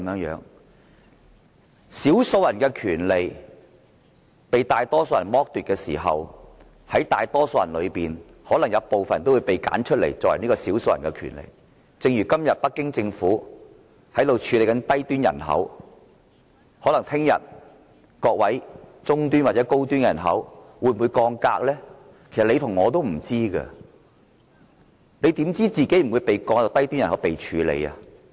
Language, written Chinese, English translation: Cantonese, 當少數人的權利被大多數人剝奪時，在大多數人之中可能也會有部分人被挑選出來成為少數人，正如今天北京政府處理低端人口的做法，明天可能中端或高端人口亦會遭降格，其實你和我都不知道，你怎知道自己不會被降為低端人口呢？, When the minority is deprived of their rights and interests by the majority some Members in the majority side may become the minority just like the way Beijing Government downgraded some people into low - end population today and it may downgrade the middle - or high - end population as well the next day . Who knows? . You and I dont